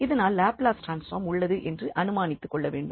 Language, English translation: Tamil, So, naturally, we have to assume that the Laplace transform exist